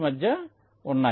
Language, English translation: Telugu, they are connected